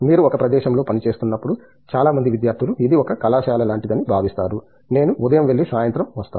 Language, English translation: Telugu, You, when you are working in a place many of the students feel that it is like a college, where I go in the morning come in the evening